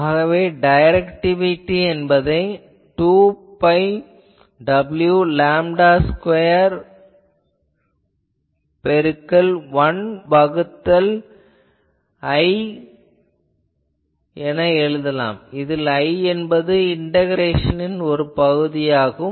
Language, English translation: Tamil, So, by that people have found 2 pi w by lambda square into 1 by I, where I is a thing defined by some integration things